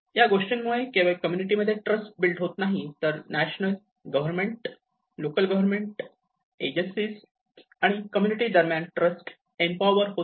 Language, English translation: Marathi, You know it builds trust not only between the communities, it also empowers trust between the governments and the local governments and the agencies and the communities